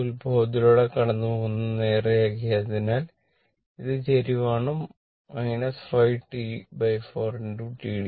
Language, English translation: Malayalam, Because this is straight line passing through the origin this is a slope minus 5 T by 4 into t dt right